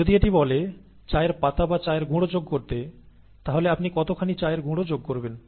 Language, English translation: Bengali, If it says add tea leaves or tea dust, how much tea dust do you add